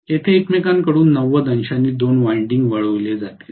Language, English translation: Marathi, Here there will be two windings shifted from each other by 90 degrees